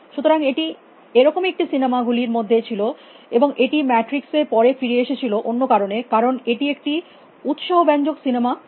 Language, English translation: Bengali, So, that is one of the films and will come to matrix again later for different reason, so quite an interesting film